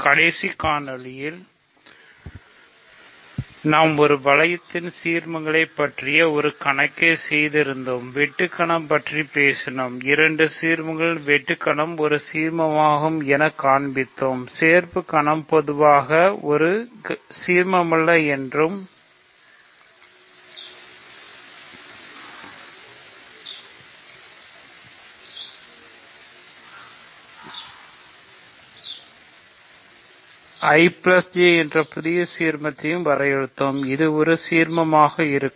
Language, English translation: Tamil, So, in the last video we were doing a problem about ideals in a ring and given two ideals I have talked about the intersection is an ideal, union is not in general an ideal, but we have defined a new ideal called I plus J which happens to be an ideal